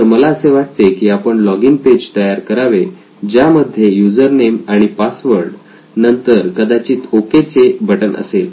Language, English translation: Marathi, So the login page would essentially have a username and a password right and then ok button probably